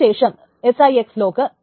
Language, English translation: Malayalam, Then there is a 6 lock